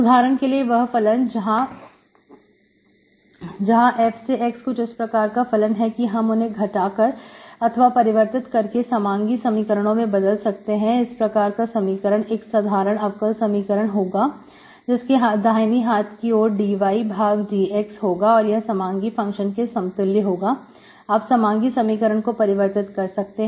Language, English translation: Hindi, So for example, those functions where f of x is such a function, we can actually reduce this equation to homogeneous, an ordinary differential equation with the right hand side, dy by dx equals to, with a homogeneous function, you can reduce this into an homogeneous equation, okay